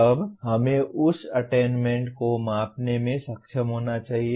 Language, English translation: Hindi, Then we should be able to measure that attainment